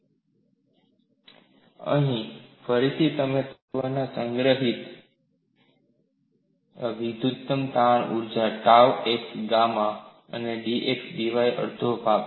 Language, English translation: Gujarati, Here, again you find the incremental strain energy stored in the element is one half of tau x y gamma x y d V